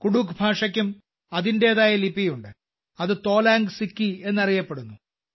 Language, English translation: Malayalam, Kudukh language also has its own script, which is known as Tolang Siki